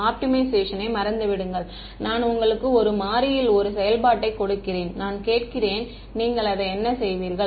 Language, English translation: Tamil, Forget optimization supposing, I give you a function in 1 variable and I ask you find the minima of it what will you do